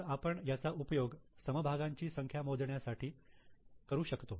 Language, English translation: Marathi, So, we can use it for calculating number of shares